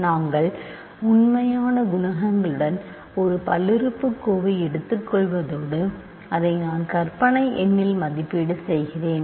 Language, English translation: Tamil, What we are doing is take a polynomial with real coefficients and you evaluate it at the imaginary number i